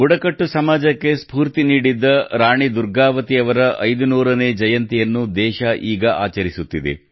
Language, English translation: Kannada, The country is currently celebrating the 500th Birth Anniversary of Rani Durgavati Ji, who inspired the tribal society